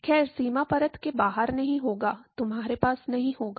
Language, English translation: Hindi, Well outside the boundary layer, no will not be, you will not have